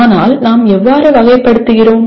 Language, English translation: Tamil, How do you categorize